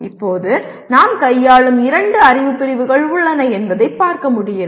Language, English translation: Tamil, Now as you can see, there are two knowledge categories that we are dealing with